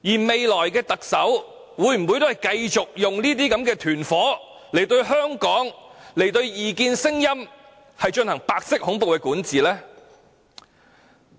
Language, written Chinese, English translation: Cantonese, 未來的特首會否繼續用這些"團夥"，對香港、對異見聲音進行白色恐怖的管治呢？, Will the future Chief Executive continue deploying these gangs and governing Hong Kong and dissent voices with white terror?